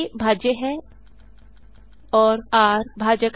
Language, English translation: Hindi, a is dividend and r is divisor